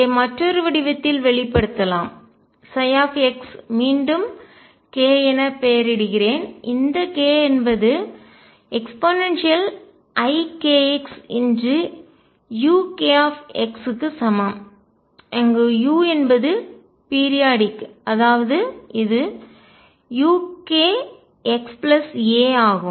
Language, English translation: Tamil, This can be expressed in another form that psi x again I label it as k is equal to e raise to i k x u k x where u is also periodic u k a plus x